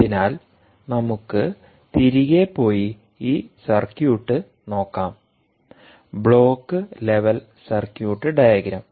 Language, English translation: Malayalam, ok, so lets go back and look at this circuit, the block level circuit diagram